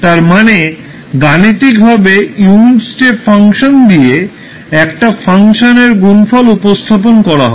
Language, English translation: Bengali, You are representing this mathematically as a function multiplied by the unit step function